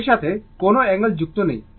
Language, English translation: Bengali, No angle associated with that